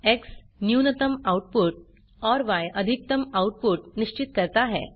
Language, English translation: Hindi, X sets minimum output and Y sets maximum output